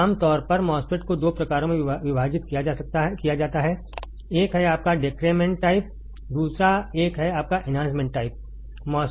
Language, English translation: Hindi, Generally the MOSFET is divided into 2 types one is your depletion type MOSFET, another one is your enhancement type MOSFET ok